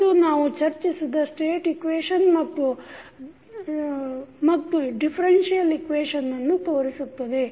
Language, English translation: Kannada, And this shows the state equations so which we discussed and the differential equation